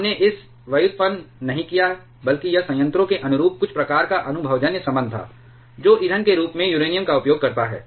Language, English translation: Hindi, We have not derived it rather this was some kind of empirical relation corresponding to a reactor, which uses uranium as a fuel